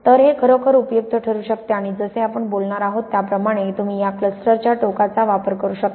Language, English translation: Marathi, So, this can really be useful and as we are going to talk about you can use the extremity of this cluster